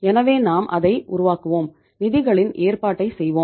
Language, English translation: Tamil, So we will make it and we will make the arrangement of the funds